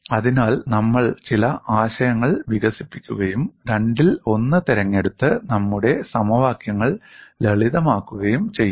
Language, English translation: Malayalam, So, we will develop certain concepts and simplify our equations by choosing one of the two that is the reason why we look at it